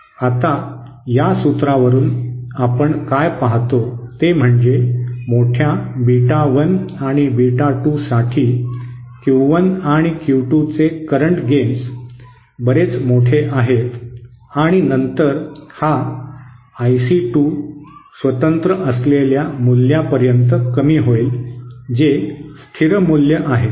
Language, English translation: Marathi, Now from this formula what we see is that for large is beta 1 and beta 2 that is the current gains of Q 1 and Q 2 are quite large, and then this I C 2 will reduce to this value which is independent, which is a constant value